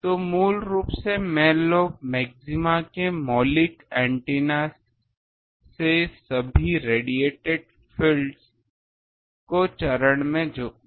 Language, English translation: Hindi, So, basically in the main lobe maxima all the radiated fields from elemental antennas are added in phase